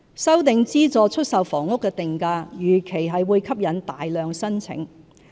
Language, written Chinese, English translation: Cantonese, 修訂資助出售房屋的定價，預期會吸引大量申請。, We expect that the revision of the pricing of SSFs will attract a large number of applications